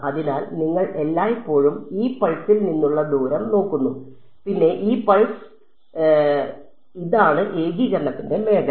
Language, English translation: Malayalam, So, you are always looking at the distance from this pulse then this pulse then this then this pulse, this is the region of integration no singularities